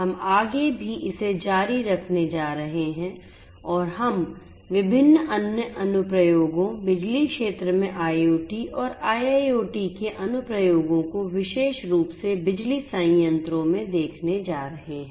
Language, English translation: Hindi, We are going to continue further and we are going to look at different other applications, applications of IoT and IIoT in the power sector more specifically in the power plants